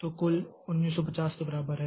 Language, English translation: Hindi, So, total is equal to 11950